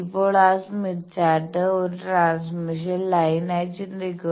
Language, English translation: Malayalam, Now think of that Smith Chart as a transmission line